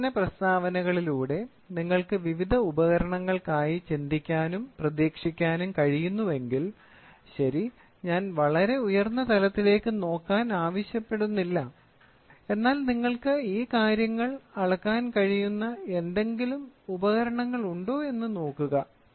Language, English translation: Malayalam, So with these problem statements, if you are able to think and look forward for various devices, ok, I am not asking to look at very high and all look at something which with which you can measure